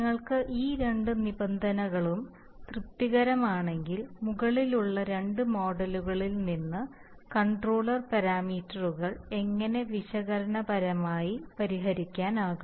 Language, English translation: Malayalam, And then if you can, if you have these two conditions satisfied then analytically the controller parameters can be solved from the above two models, how